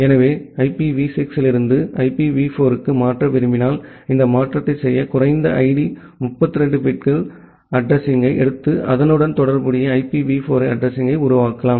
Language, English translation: Tamil, So, to make this conversion if you want to make a conversion from IPv6 to IPv4 then, you take the low order 32 bit address to make the corresponding IPv4 address